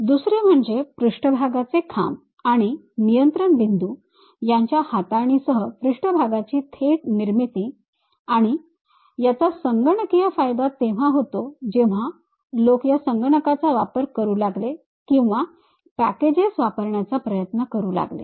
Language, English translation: Marathi, The second one is direct creation of surface with manipulation of the surface poles and control points and a computational advantage when people started using these computers or trying to use packages